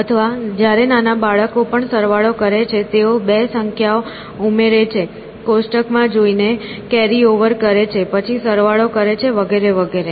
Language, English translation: Gujarati, Or, when even younger children do addition; so, they add 2 numbers, where looking up a table, do a carryover, then add, and so on and so forth